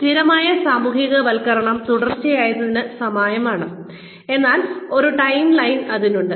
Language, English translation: Malayalam, Fixed socialization is similar to sequential, but with a timeline